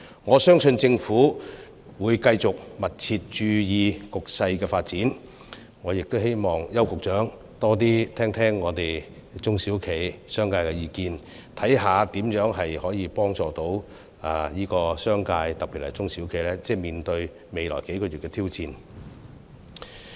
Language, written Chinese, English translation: Cantonese, 我相信政府會繼續密切注意局勢的發展，我亦希望邱局長多聆聽中小企和商界的意見，看看如何幫助商界，特別是中小企面對未來數月的挑戰。, I trust the Government will continue to closely monitor the development of the situation . I also hope that Secretary Edward YAU will listen more to the views of SMEs and the business sector to see how best the business sector especially SMEs can be helped in meeting the challenges in the next few months